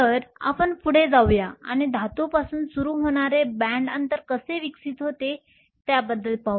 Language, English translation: Marathi, So, let us go ahead and look at how band gap evolves starting with a metal